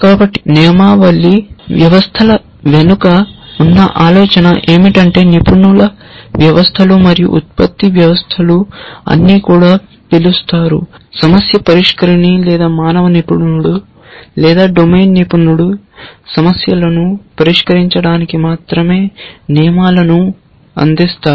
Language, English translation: Telugu, So, the idea behind rule based systems which also were for some reason called expert systems and production systems was that the problem solver or the human expert or the domain expert will only provide the rules for solving problems